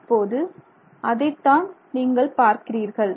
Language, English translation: Tamil, So, that's what we see here